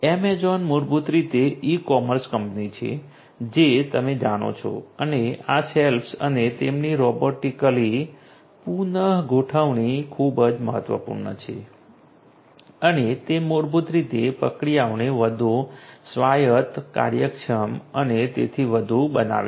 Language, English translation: Gujarati, Amazon basically is the e commerce company as you know and this shelves and their rearrangement robotically is very important and that basically makes the processes much more autonomous, efficient and so on